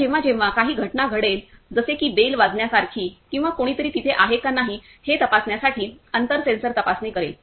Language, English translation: Marathi, Now whenever some event is happening like pressing a bell or distance sensor checking if someone is there or not